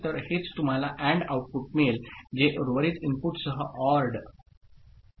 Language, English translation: Marathi, So, that is what you see as the AND output which is ORd with rest of the inputs ok